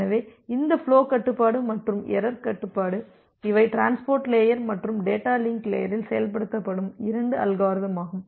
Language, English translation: Tamil, So, this flow control and error control these are the two mechanism which are implemented both at the transport layer and the data link layer